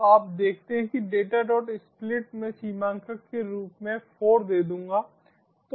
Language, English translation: Hindi, so data dot split, i will give the delimiter as four